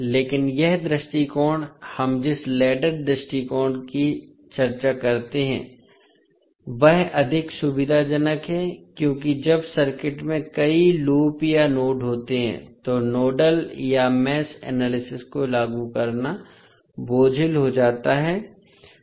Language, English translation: Hindi, But this approach, what is the ladder approach we discuss is more convenient because when the circuit has many loops or nodes, applying nodal or mesh analysis become cumbersome